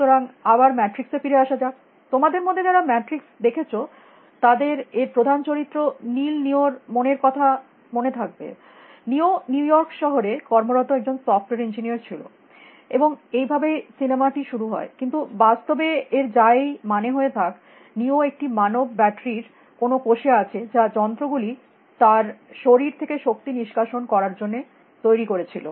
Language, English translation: Bengali, So, again coming back to the matrix, so if those of you have seen matrix would remember that its main character called Neil Neo; in Neo’s mind, Neo was a software engineer working in New York city, and that is how the movie begins, but in reality, whatever, that means, neo is in some cell in some human battery which the machines have constructed to extract the energy out of him